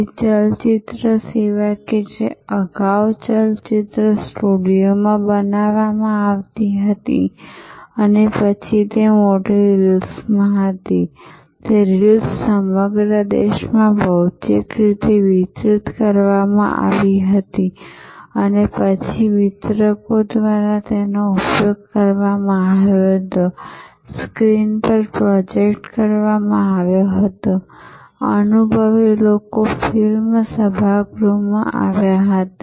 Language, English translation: Gujarati, So, the movie service which earlier movies were created in studios and then they were in big reels and those reels got distributed all over the country physically and then they were used by the distributors, projected on a screen, people came to the movie auditorium and experienced